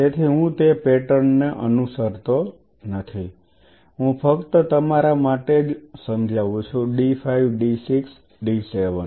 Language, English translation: Gujarati, So, I am not following that pattern I am just kind of for your understanding I am d 5 d 6 d 7